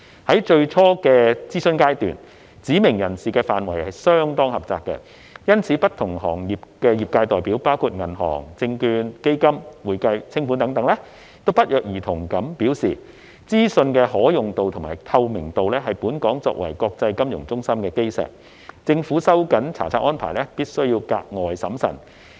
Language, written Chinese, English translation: Cantonese, 在最初的諮詢階段，指明人士範圍相當狹窄，因此不同行業的業界代表，包括銀行、證券、基金、會計、清盤等，均不約而同地表示，資訊的可用度及透明度是本港作為國際金融中心的基石，政府收緊查冊安排必須格外審慎。, During the initial consultation the scope of specified persons was very narrow . In view of this representatives of various industries including banking securities funds accounting and winding - up services coincidentally indicated that availability and transparency of information formed the bedrock of Hong Kongs position as an international financial centre and that the Government must exercise extra caution when tightening the inspection regime